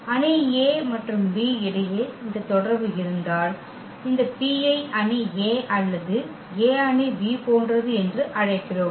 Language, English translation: Tamil, If we have this relation between the between the matrix A and B, then we call this P is similar to the matrix A or A is similar to the matrix B